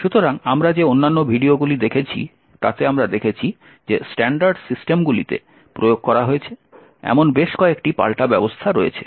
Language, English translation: Bengali, So, in the other videos that we have looked at we have seen that there are several countermeasures that have been implemented in standard systems